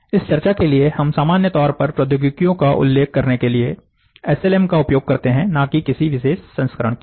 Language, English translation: Hindi, For this discussion, we use SLM to refer to the technologies in general and not to any particular variant